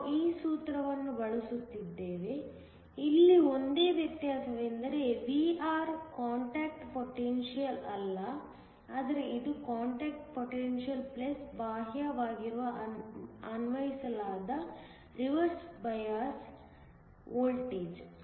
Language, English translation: Kannada, We are just using that formula; the only difference here is that Vr is not the contact potential, but it is the contact potential + the externally applied reversed bias voltage